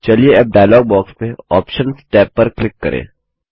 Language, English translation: Hindi, Now let us click on the Options tab in the dialog box